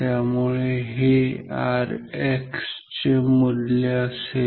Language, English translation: Marathi, So, this will be the value of R X ok